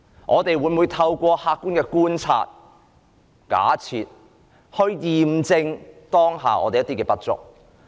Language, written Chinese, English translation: Cantonese, 我們每每透過客觀的觀察和假設，驗證我們當下的不足之處。, We often have to verify our current shortcomings through objective observation and hypothesis